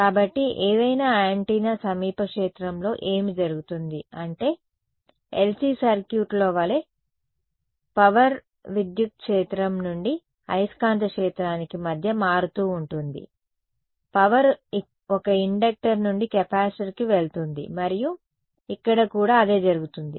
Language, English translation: Telugu, So, what happens in the near field of any antenna is that the energy keeps shuffling between the electric field to magnetic field like in LC circuit, energy goes from an inductor to capacitor and back and forth same thing happens over here